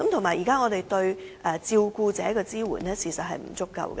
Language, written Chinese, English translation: Cantonese, 此外，現時對照顧者的支援亦不足夠。, Besides the current support for carers is also insufficient